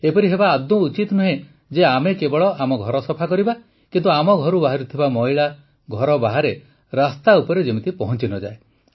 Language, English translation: Odia, It should not be that we clean our house, but the dirt of our house reaches outside, on our roads